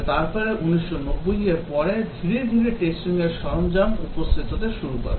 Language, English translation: Bengali, But then after 1990s slowly test tool started to appear